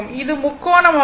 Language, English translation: Tamil, It is triangular